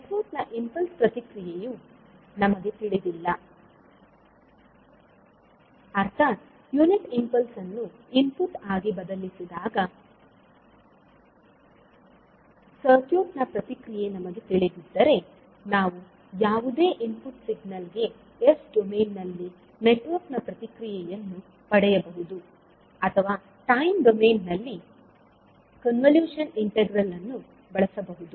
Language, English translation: Kannada, Now, as H s is the Laplace transform of the unit impulse response of the network, once the impulse response entity of the network is known, that means that we know the response of the circuit when a unit impulse input is provided, then we can obtain the response of the network to any input signal in s domain using convolution integral in time domain or corresponding the s domain analysis for convolution integral